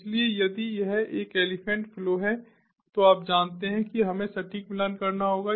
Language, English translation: Hindi, so if it is an elephant flow, you know we have to have exact match